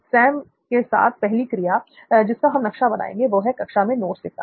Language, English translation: Hindi, So the activity first activity that we are mapping with Sam would be taking notes in class, yeah